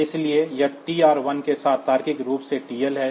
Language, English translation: Hindi, So, it is TL logically anded with TR1